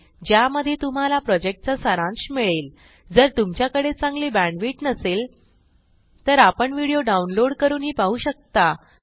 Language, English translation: Marathi, It summarises the project.If you do not have good bandwidth, you can download and watch it